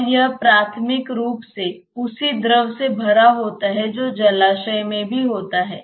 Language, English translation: Hindi, And it is basically filled with the same fluid which is also there in the reservoir